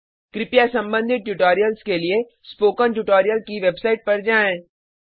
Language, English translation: Hindi, Please go through the relevant spoken tutorials on the spoken tutorial website